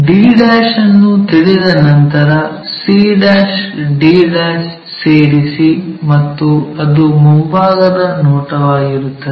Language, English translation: Kannada, Once we know d', join c' and d' and that will be the front view